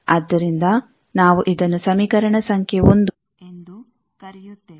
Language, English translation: Kannada, So, we are calling it equation number 1